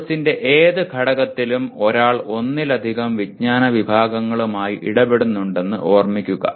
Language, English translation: Malayalam, Remember that in any element of the course one may be dealing with more than one knowledge category